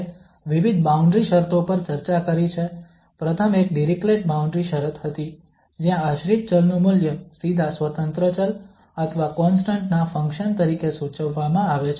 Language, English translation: Gujarati, We have discussed various boundary conditions, the one was the first one was the Dirichlet boundary conditions, where the value of the dependent variable is prescribed directly as a function of the independent variable or a constant